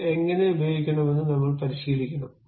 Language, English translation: Malayalam, You have to practice how to use this